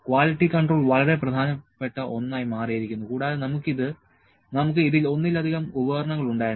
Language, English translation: Malayalam, Quality control became an utmost important thing and we had multiple instruments in this right